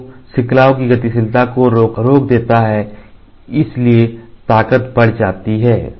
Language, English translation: Hindi, So, the mobility of the chains are arrested so, the strength increases